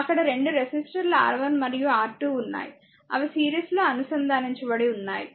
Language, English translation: Telugu, There are 2 resistor resistors R 1 and R 2, they are connected in series, right